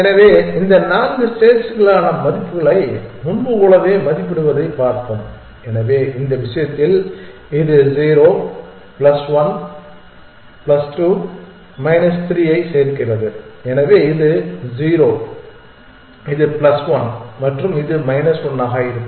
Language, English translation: Tamil, So, let us see valuate the values for this four states here as before, so in this case as we have seen this adds to 0 plus 1 plus 2 minus 3, so this is 0 this is plus one and this will be minus 1